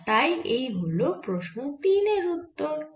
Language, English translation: Bengali, so this is the answer for problem number three